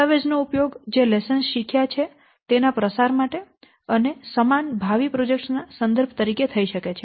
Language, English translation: Gujarati, The document can be used to disseminate the lessons which are learned and to work as a reference for similar future projects